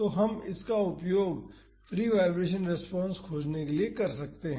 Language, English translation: Hindi, So, we can use that to find the free vibration response